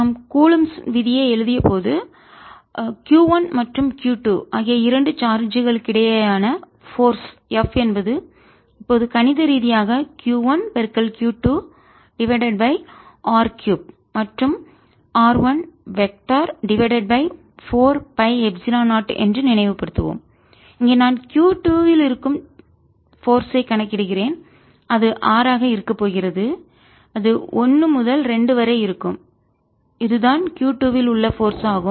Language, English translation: Tamil, recall that when we wrote coulombs law, the force f between two charges, q one and q two, was nothing but q one, q two over r cubed and vector r one over four pi epsilon zero, where, if i am calculating force on q two, it is going to be r is going to be form one to two and this is force on q two